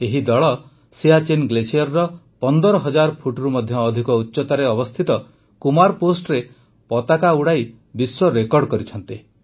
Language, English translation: Odia, This team created a world record by hoisting its flag on the Kumar Post situated at an altitude of more than 15 thousand feet at the Siachen glacier